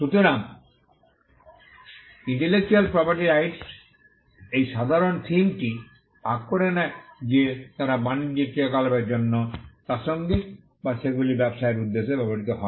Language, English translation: Bengali, So, intellectual property rights share this common theme that, they are relevant for commercial activity or they are used for the purpose of businesses